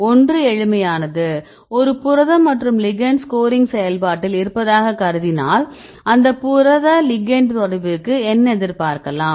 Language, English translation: Tamil, The one is simple one you can say that you have a protein and you have a ligand be in the scoring function, generally if you talk what do we expect if you have your protein and the ligand to interact